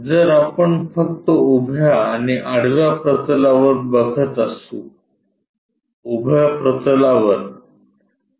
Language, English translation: Marathi, So, if we are visualizing only on vertical and horizontal planes, on the vertical plane